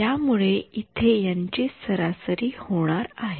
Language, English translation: Marathi, So, its going to be the average over here